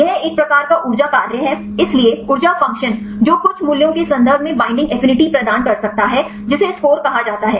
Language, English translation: Hindi, This is a kind of energy function; so, energy function which can provide the binding affinity in terms of some values that called scores